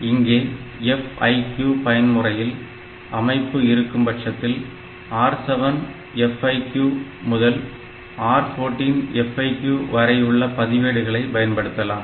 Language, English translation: Tamil, So, if I if I use in the FIQ mode we have got a separate set of registers R7 FIQ to R14 FIQ